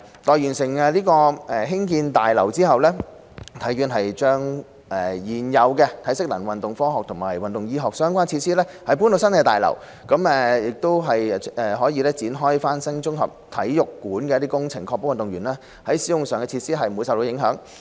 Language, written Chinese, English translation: Cantonese, 待完成興建新大樓後，體院會將現有的體適能、運動科學及運動醫學相關設施遷移到新大樓，才會展開翻新綜合體育館的工程，確保運動員使用以上的設施不受影響。, Upon the completion of the new facilities building HKSI will relocate the existing facilities on strength and conditioning sports science and sports medicine to the new facilities building before renovating the sports complex in order not to affect athletes use of such facilities